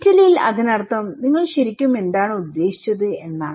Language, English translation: Malayalam, In Italy, it means that what exactly, do you mean